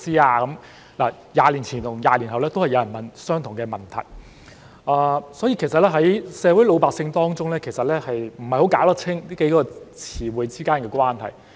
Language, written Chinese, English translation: Cantonese, "20 年前與20年後都有人問相同的問題，所以可見老百姓不太弄得清楚這幾個詞之間的關係。, The same question was asked 20 years ago and is still asked 20 years later so it is clear that common people are not quite sure about the relationship among these terms